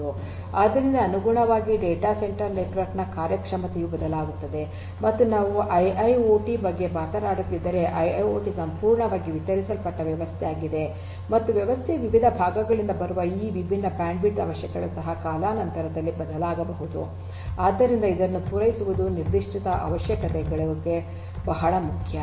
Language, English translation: Kannada, So, correspondingly the performance of the data centre network will also change and if we are talking about IIoT, IIoT is a fully distributed system and these different bandwidth requirements coming from the different parts of the system might also change over time so, catering to this particular requirements are very important